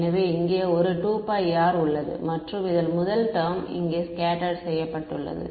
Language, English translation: Tamil, So, there is a 2 pi r over here right and this first term over here is scattered squared